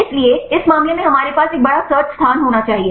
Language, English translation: Hindi, So, in this case we need to have a large search space